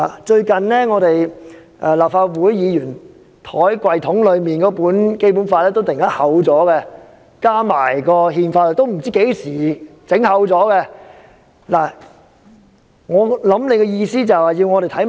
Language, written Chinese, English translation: Cantonese, 最近，立法會議員放在抽屉內那本《基本法》突然加厚，加入了《憲法》，也不知道是何時加厚的。, The Basic Law booklet placed in the drawers of Legislative Council Members has suddenly been enlarged to include the Constitution . I am unsure when this enlarged edition is produced